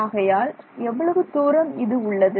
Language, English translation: Tamil, So, what is the distance